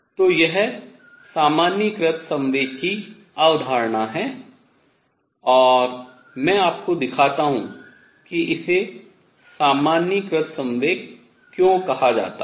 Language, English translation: Hindi, So, this is the concept of generalized momentum and let me show you why it is called generalized momentum